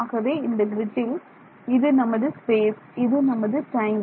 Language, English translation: Tamil, So, our grid this is my space and this is my time